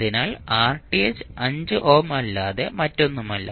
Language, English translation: Malayalam, So, Rth is nothing but 5 ohm